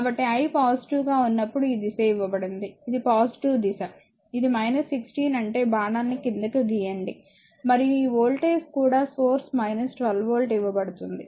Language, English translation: Telugu, So, this is the positive dire I is when I is positive this is the direction is given, it is minus 16 means you just make the arrow downwards right and this one your voltage also voltage source also it is given minus 12 volt